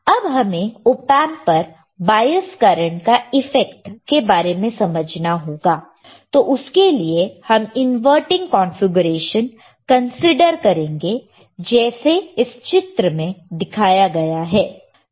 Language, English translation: Hindi, Now to understand the effect of bias currents on the op amp let us consider inverting configuration as shown in the figure here right